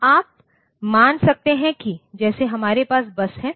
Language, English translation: Hindi, So, you can assume that as if we have a bus